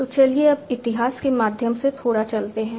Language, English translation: Hindi, So, let us now go through the history a bit